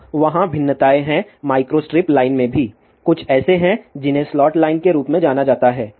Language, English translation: Hindi, Now, there are variations are there in micro strip line also, there are something like known as a slot line